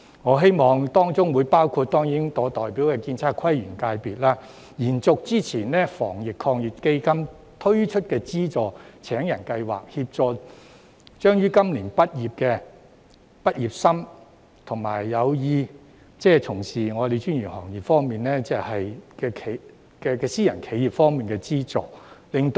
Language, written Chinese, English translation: Cantonese, 我希望當中包括建測規園界別的職位，延續之前透過防疫抗疫基金推出的就業資助計劃，協助將於今年畢業的畢業生，以及有意從事專業行業的私人企業，從而減低失業率，我覺得這會勝過每次"派錢"。, I hope these jobs will include those in the engineering architectural surveying town planning and landscape sectors and that the employment support scheme previously introduced under the Anti - epidemic Fund will be extended to provide assistance to fresh graduates and private enterprises intended to engage in professional trades so as to lower the unemployment rate . I think this will be better than giving cash handout every time